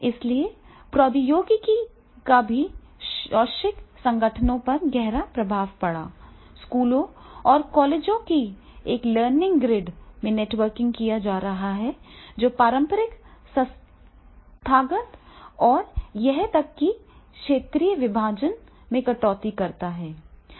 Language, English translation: Hindi, ) So technology also had a profound impact on educational organizations themselves schools and colleges are being networked in a learning grid that cuts across traditional institutional and even sectorial divides is there